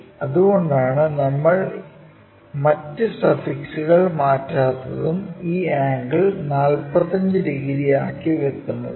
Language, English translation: Malayalam, So, that is the reason we are not changing any other suffixes and this angle is 45 degrees